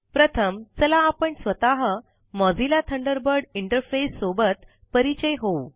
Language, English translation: Marathi, First, lets familiarise ourselves with the Mozilla Thunderbird interface